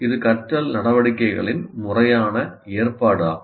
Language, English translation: Tamil, It is a deliberate arrangement of learning activities